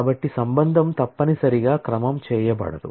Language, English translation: Telugu, So, a relation is necessarily unordered